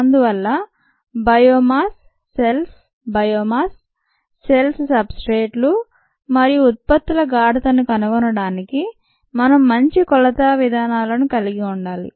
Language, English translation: Telugu, therefore, we need to have good measurement methods to find out the concentrations of biomass cells, ah, the cells or biomass substrates and products